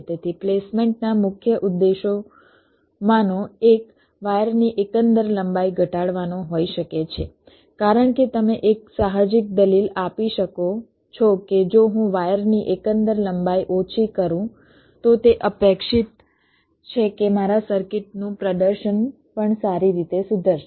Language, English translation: Gujarati, so one of the main objectives of placement may be to reduce the overall wire length, because one intuitive argument you can give that if i minimize the overall wire length it is expected that the performance of my circuit will also improve